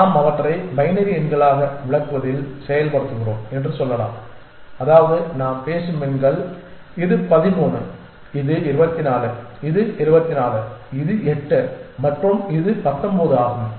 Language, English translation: Tamil, And let us say that we implement in we interpret them as binary numbers which means that the numbers that we are talking about are this is 13 this is 24; this is 8 and this is 19